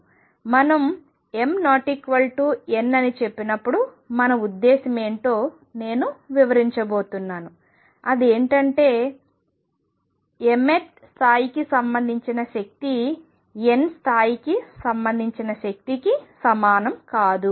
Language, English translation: Telugu, I am going to explain in a bit what we mean when we say m is not equal to n, what it would amount 2 is that if the energy relate energy related to mth level is not equal to energy related to nth level